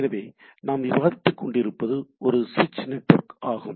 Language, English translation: Tamil, So, what we are discussing about is a switch network